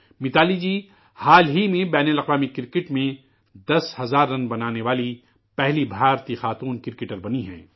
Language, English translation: Urdu, Recently MitaaliRaaj ji has become the first Indian woman cricketer to have made ten thousand runs